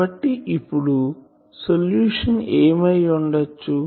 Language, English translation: Telugu, So, what will be the solution